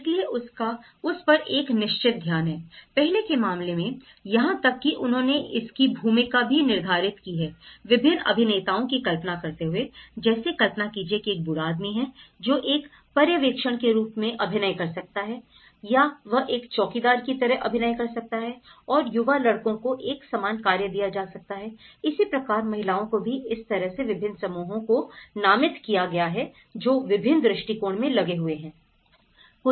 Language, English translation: Hindi, So, it has a very definite focus on it, in the earlier case, even they have designated the role of different actors like imagine, old man so, he can be acting as a supervision or he can act like a watchman and young boys they can become given a different tasks similarly, a female they can be doing, so in that way different groups have got designated, have been engaged in different aspects